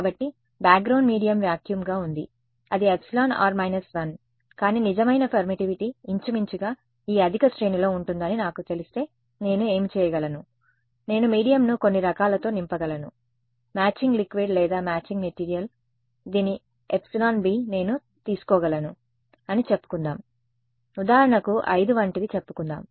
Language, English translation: Telugu, So, a background medium was vacuum it is epsilon r minus 1, but if I know that the true permittivity is roughly going to be in this high range then what I can do is, I can fill the medium with some kind of what is called matching liquid or matching material whose epsilon b is let us say I can take for example, something like 5 let us say